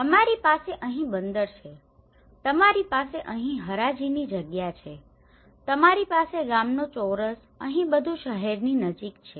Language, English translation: Gujarati, We have the harbour here, you have the auction place here, you have the village square here everything is near to the city